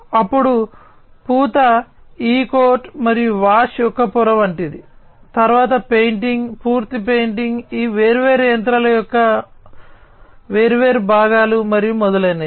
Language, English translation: Telugu, Then something like you know a layer of coating e coat and wash, then painting, full painting, of these different machinery that the different, different parts and so on